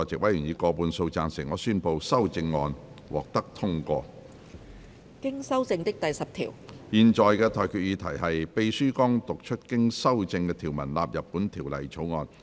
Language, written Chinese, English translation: Cantonese, 我現在向各位提出的待決議題是：秘書剛讀出經修正的條文納入本條例草案。, I now put the question to you and that is That the clause as amended just read out by the Clerk stand part of the Bill